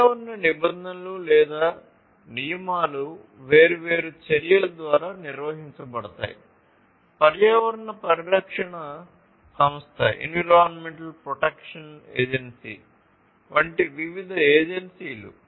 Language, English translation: Telugu, Environmental regulations or rules meant, are maintained by different acts, different agencies such as the environmental protection agency